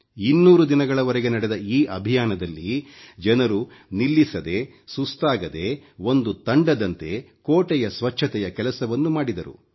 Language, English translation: Kannada, In this campaign lasting for two hundred days, people performed the task of cleaning the fort, nonstop, without any fatigue and with teamwork